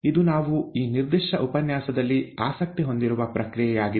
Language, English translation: Kannada, It is this process that we are interested in, in this particular lecture